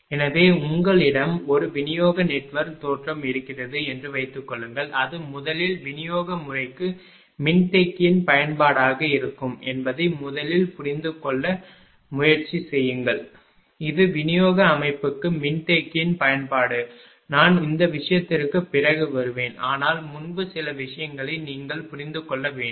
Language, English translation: Tamil, So, suppose you have a distribution network look you just try to understand first that it will be application of capacitor to distribution system, this will be the headline that application of capacitor to distribution system I will come to that all this thing later, but before that certain things you have to understand